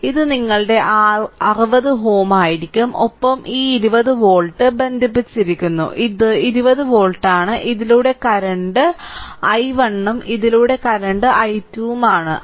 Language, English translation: Malayalam, So, it will be your 60 ohm and with that this 20 volt plus minus is connected, this is 20 volt right and current through this it is i 1 and current through this it is i 2 right